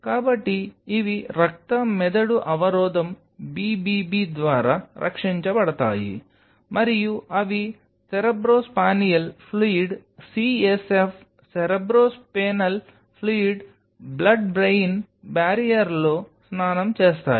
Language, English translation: Telugu, So, these are protected by blood brain barrier BBB, and they are bathe in cerebrospinal fluid CSF Cerebro Spinal Fluid blood brain barrier